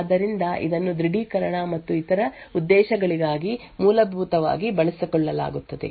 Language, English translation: Kannada, So this is essentially utilised for authentication and other purposes